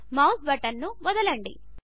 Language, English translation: Telugu, Release the mouse button